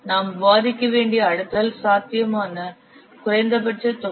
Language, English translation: Tamil, Next term that we have to discuss its program potential minimum volume